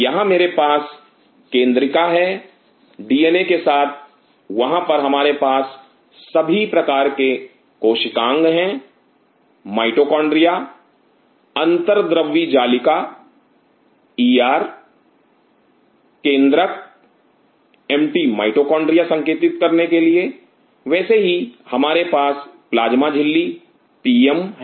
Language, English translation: Hindi, Here I have a nucleolus with the DNA sitting there we have all sorts of orgonal mitochondria endoplasmic reticulum ER nucleus Mt stand for mitochondria likewise we have the plasma membrane PM